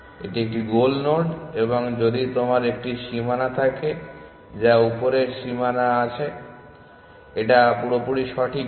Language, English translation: Bengali, This is a goal node and if you have a boundary which is the upper bound well that is not quite correct